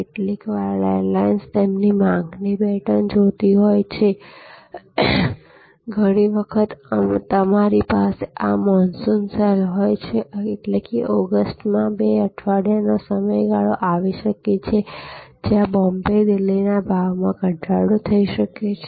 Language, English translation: Gujarati, Sometimes airlines looking at their demand pattern, so like many time you have monsoon sale; that means, there may be a two weeks period in August, where the Bombay Delhi price may be slashed